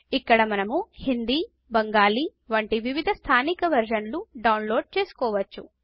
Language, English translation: Telugu, Here, we can download various localized versions, such as Hindi or Bengali